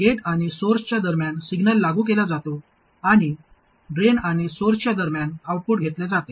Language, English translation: Marathi, The signal is applied between the gate and source and the output is taken between the drain and source